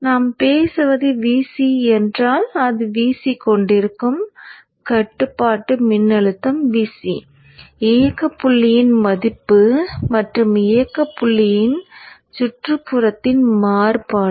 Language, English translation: Tamil, So if it is VC that we are talking of the control voltage, it is having a VC operating point value plus variation in the neighborhood of the operating point value